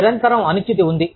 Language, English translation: Telugu, There is constant uncertainty